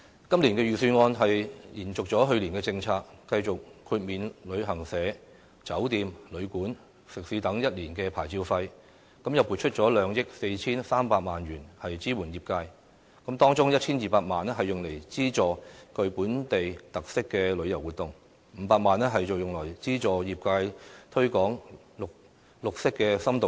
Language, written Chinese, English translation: Cantonese, 今年預算案延續了去年的政策，繼續豁免旅行社、酒店、旅館、食肆等一年的牌照費，又撥出2億 4,300 萬元支援業界，當中 1,200 萬元用來資助具本地特色的旅遊活動 ，500 萬元則用來資助業界推廣綠色深度遊。, As in last year this years Budget also waives the licence fees for travel agents hotels and guesthouses and restaurants . Moreover a sum of 243 million will be allocated to support the tourism industry including 12 million to fund the development of tourism projects with local characteristics and 5 million for the promotion of environmental tourism